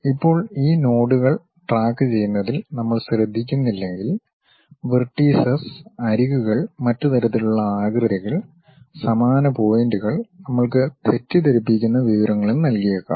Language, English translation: Malayalam, Now, if we are not careful in terms of tracking these nodes, vertices, edges and other kind of configuration, the same points may give us a misleading information also